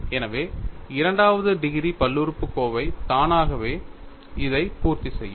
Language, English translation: Tamil, So, a second degree polynomial will automatically satisfy this